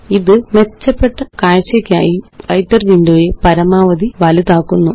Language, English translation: Malayalam, This maximizes the Writer window for better visibility